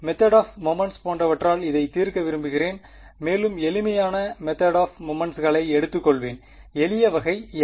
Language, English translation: Tamil, I want to solve this by something like method of moments and will take the simplest kind of method of moments; what is the simplest kind